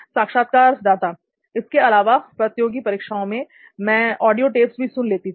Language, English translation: Hindi, Also sometimes maybe like competitive exams, I used to listen to the audio tapes maybe